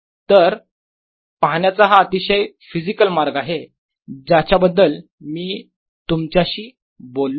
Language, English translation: Marathi, thus this is a way, physical way of looking at you that i talked about